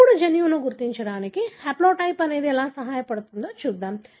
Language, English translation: Telugu, Now, let us see how the haplotype helps us to identify the gene